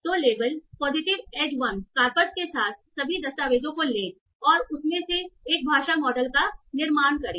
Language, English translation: Hindi, So take all the documents with the label positive as one corpus and construct a language model out of that